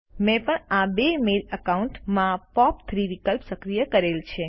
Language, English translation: Gujarati, I have also enabled the POP3 option in these two mail accounts